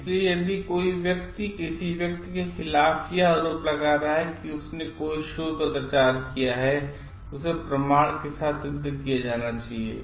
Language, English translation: Hindi, So, if somebody is bringing allegation against a person telling that he or she has done a research misconduct, then it must be proven with evidence